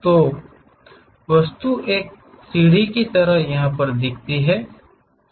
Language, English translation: Hindi, So, the object looks like a staircase steps